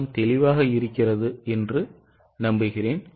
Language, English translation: Tamil, I hope everything is clear to you